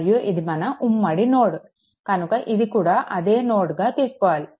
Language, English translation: Telugu, And this is a this is your common node, this is a this is a basically same node right